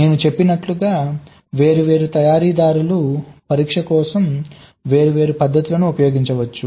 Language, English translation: Telugu, as i said, different manufactures may use different methods for testing